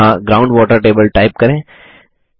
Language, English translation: Hindi, Here, lets type Ground water table